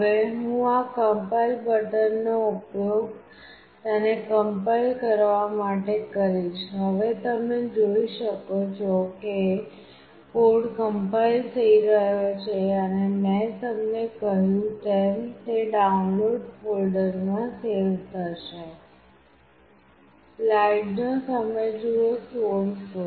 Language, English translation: Gujarati, Now, I will use this compile button to compile it, now the code is getting compiled you can see and I have told you that, it will get saved in Download folder